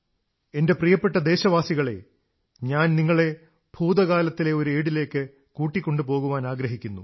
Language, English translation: Malayalam, My dear countrymen, I want to transport you to a period from our past